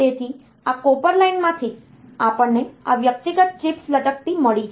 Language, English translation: Gujarati, So, from this copper line, we have got these individual chips hanging